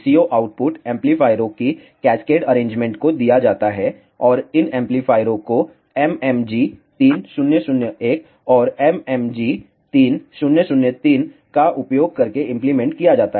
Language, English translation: Hindi, The VCO output is given to the cascaded arrangement of amplifiers and these amplifiers are implemented using MMG 3001 and, MMG 3003